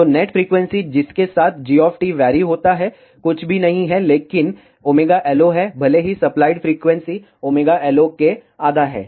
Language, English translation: Hindi, So, the net frequency with which g of t varies is nothing but omega LO, even though the supplied frequency is half of omega LO